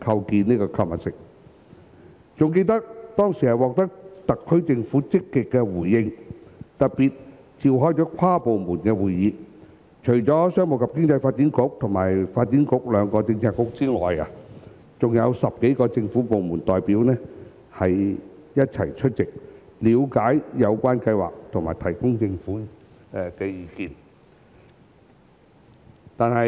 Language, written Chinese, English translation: Cantonese, 猶記得當時獲得特區政府的積極回應，特別召開跨部門會議，除商務及經濟發展局和發展局兩個政策局外，還有10多個政府部門代表一起出席，了解有關計劃和提供政府意見。, I still remember that the SAR Government responded positively and specially convened an inter - departmental meeting for that purpose . Apart from the Commerce and Economic Development Bureau as well as the Development Bureau representatives from more than 10 government departments also attended the meeting to understand the relevant proposal and express views of the Government